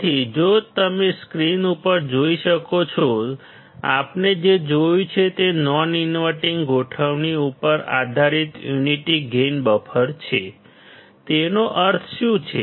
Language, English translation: Gujarati, So, if you can see on the screen; what we see is a unity gain buffer based on the non inverting configuration; what does that mean